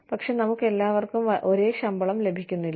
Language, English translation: Malayalam, But, all of us, do not get the same salary